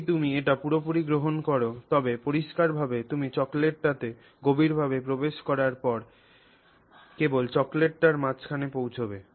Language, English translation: Bengali, If you, I mean if you take it as a whole, then clearly you reach the chocolate in the middle only after you have, you know, gone fairly deep into the chocolate